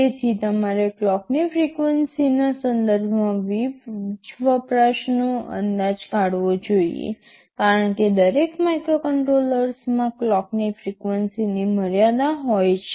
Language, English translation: Gujarati, So, you should estimate the power consumption with respect to the clock frequency, we are using because every microcontroller has a range of permissible clock frequencies